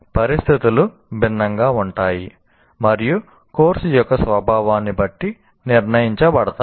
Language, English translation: Telugu, So, situations are different by the nature of the course